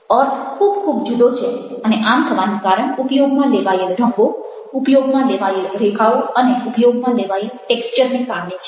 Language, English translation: Gujarati, meanings are very, very different and ah, that is because of the colors used, the lines used, the textures used